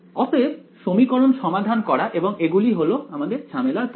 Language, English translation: Bengali, So, solving the equations and these are the problematic terms